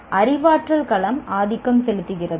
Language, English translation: Tamil, Is the cognitive domain dominant